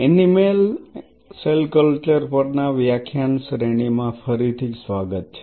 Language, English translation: Gujarati, Welcome back to the lecture series in Animal Cell Culture